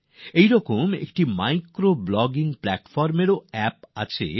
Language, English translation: Bengali, Similarly, there is also an app for micro blogging platform